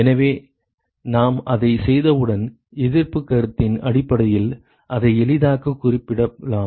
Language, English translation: Tamil, So, once we do that now we can easily represent it in terms of the resistance concept